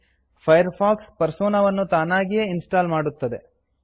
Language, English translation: Kannada, Firefox installs this Persona automatically